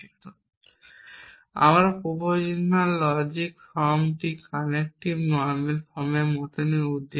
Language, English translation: Bengali, And we are concerned in proposition logic clause form is the same as conjunctive normal form